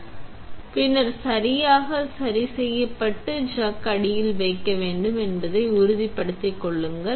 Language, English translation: Tamil, So, make sure that the pin is correctly you are adjusted and then place the chuck underneath